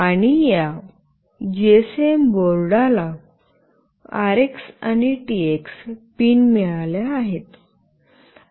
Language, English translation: Marathi, And this GSM board has got RX and TX pins